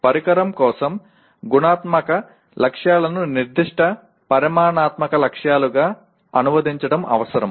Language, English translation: Telugu, It is necessary to translate the qualitative goals for the device into specific quantitative goals